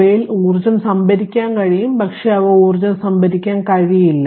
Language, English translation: Malayalam, They you can store energy in them, but they cannot store energy